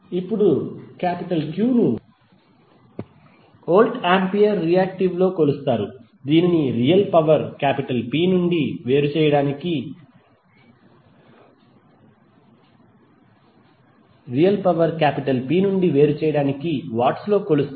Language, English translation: Telugu, Now Q is measured in voltampere reactive just to distinguish it from real power P which is measured in watts